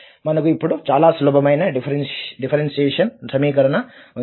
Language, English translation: Telugu, So we have a very simple differential equation now